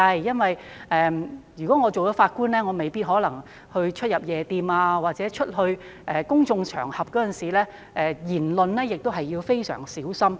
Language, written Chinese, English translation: Cantonese, 因為如果出任法官，便未必可以出入夜店，在公眾場合發表言論時亦要非常小心。, Because they might not be able to patronize night entertainment venues or have to be very cautious when making remarks in public once they have become Judges